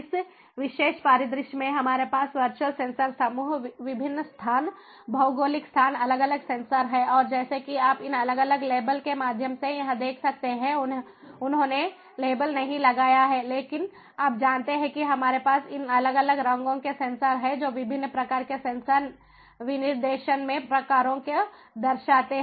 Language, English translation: Hindi, and in this particular scenario, we have the virtual sensor groups: different locations, geographical locations having different sensors and, as you can over here, through these different labels they have not labels, but this different